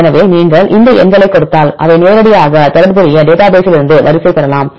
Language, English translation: Tamil, So, if you give these numbers they can directly get the sequence from the relevant databases